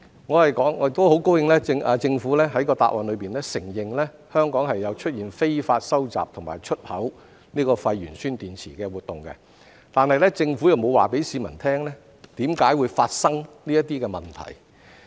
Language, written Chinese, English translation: Cantonese, 我很高興政府在答覆中承認香港有出現非法收集和出口廢鉛酸電池的活動，但政府沒有告訴市民為何會發生這些問題。, I am glad that the Government has admitted in its reply that there are illegal collection and export of waste lead - acid batteries in Hong Kong but it did not tell the public why such problems have occurred